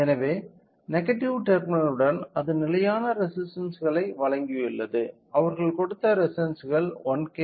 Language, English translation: Tamil, So, to the negative terminal along with that it has provided with fixed resistances the resistance they have given was 1K, 2